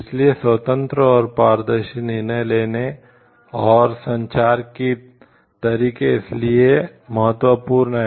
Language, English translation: Hindi, So, for that open and transparent decision making and communication methods are important